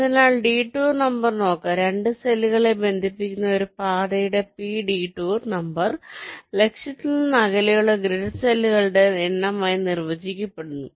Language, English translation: Malayalam, so the detour number, let see the detour number of a path, p that connects two cells is defined as the number of grid cells directed away from the target